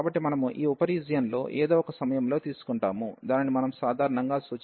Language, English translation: Telugu, So, we will take a point in this sub region at some point we will take which we can denote by usually x j, y j